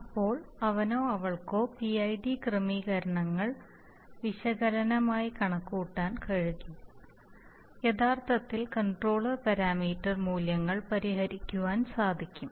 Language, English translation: Malayalam, Then he or she would be able to compute PID settings analytically first, actually solving out the controller parameter values and in some cases where